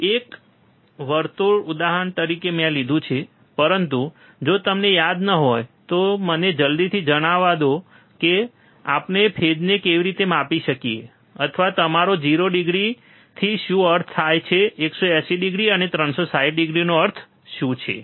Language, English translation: Gujarati, I have taken the example of a circle, but if you do not remember let me just quickly tell you how we can measure the phase, or what do you mean by 0 degree what you mean by 180 degree, and what you mean by 360 degree